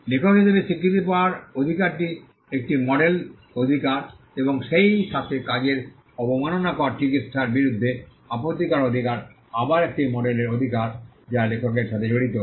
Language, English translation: Bengali, The right to be recognized as the author is a model right and also the right to object to derogatory treatment of the work is again a model right that vests with the author